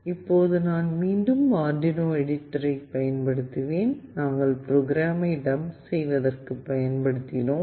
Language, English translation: Tamil, Now I will again use the Arduino editor, which we have used for dumping the code